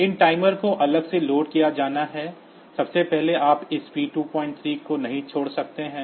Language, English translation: Hindi, These timers are to be loaded separately, first of all you cannot leave this P2